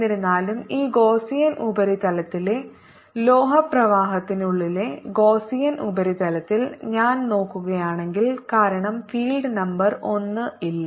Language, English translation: Malayalam, however, if i look at the gaussian surface inside, the metallic flux of this gaussian surface is zero because there is no field